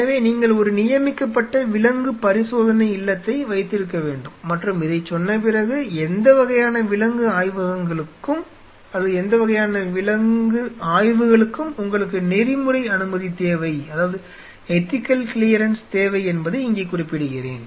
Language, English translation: Tamil, So, you have to have a designated animal house and having said this let me mention here you needed for any kind of animal studies you need ethical clearance